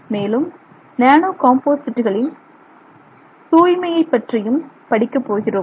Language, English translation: Tamil, And also we will look at purity in nanocomposites